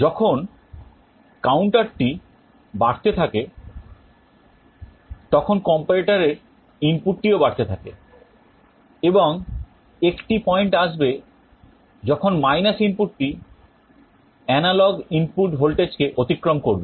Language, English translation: Bengali, As the counter increases the input of this comparator will go on increasing, and there will be a point when this input will be crossing the analog input voltage